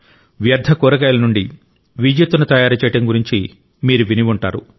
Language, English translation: Telugu, You may have hardly heard of generating electricity from waste vegetables this is the power of innovation